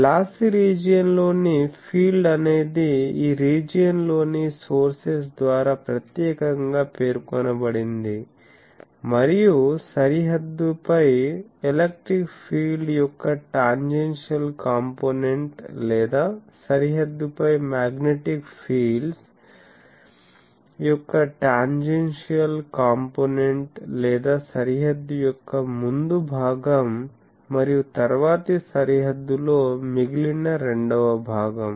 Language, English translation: Telugu, So, what he said is the field in a lossy region is uniquely specified by the sources within the region, plus the tangential components of the electric field over the boundary or the tangential component of the magnetic fields over the boundary or the former over part of the boundary and the latter over part of the latter over rest of the boundary